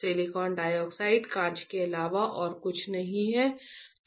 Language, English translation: Hindi, Silicon dioxide is nothing, but glass, right